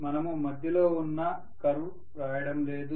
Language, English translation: Telugu, We are not writing in between curves